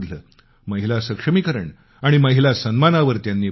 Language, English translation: Marathi, He stressed on women empowerment and respect for women